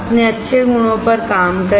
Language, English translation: Hindi, Work on your good qualities